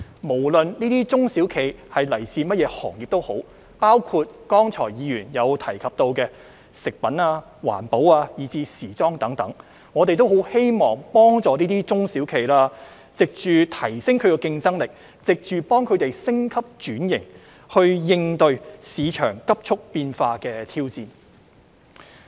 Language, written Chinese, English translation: Cantonese, 無論這些中小企來自甚麼行業，包括議員剛才提到的食品、環保，以至時裝等，我們都很希望幫助中小企，藉着提升它們的競爭力和進行升級轉型，應對市場急速變化的挑戰。, Regardless of what industries these SMEs belong to such as the food environmental and fashion industries mentioned by Members just now we truly wish to help them respond to the rapidly - evolving challenges in the market by enhancing their competitiveness and conducting upgrade and transformation